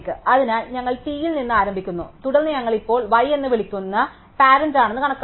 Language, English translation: Malayalam, So, we start with t and then we compute it is parent which we call y now